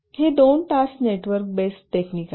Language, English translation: Marathi, These are two task network based techniques